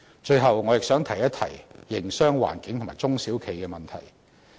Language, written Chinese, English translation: Cantonese, 最後，我亦想提一提營商環境及中小型企業的問題。, Lastly I would also like to talk about the business environment as well as small and medium enterprises